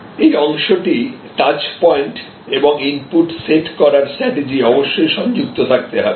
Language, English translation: Bengali, This part, the touch point and the strategy setting the input, they all must remain connected